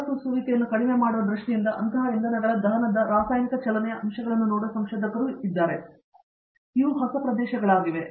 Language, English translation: Kannada, There are also researchers, who are looking at chemical kinetic aspects of combustion of such fuels with the view to reducing the emissions so, these are new areas